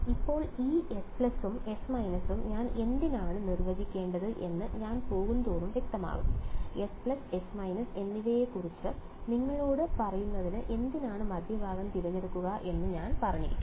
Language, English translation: Malayalam, Now, why I need to define this S plus and S minus will become clear as I go I may as well just have said pick the midpoint why to tell you about S plus and S minus ok